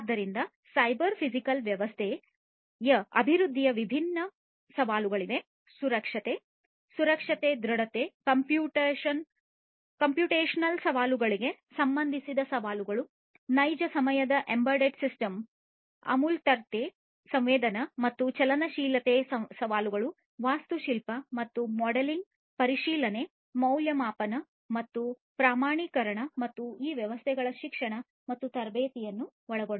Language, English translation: Kannada, So, there are different challenges of cyber physical system development; challenges with respect to safety, security, robustness, computational challenges real time embedded system abstractions sensing and mobility challenges are there architecture and modeling verification validation and certification and including education and training of these systems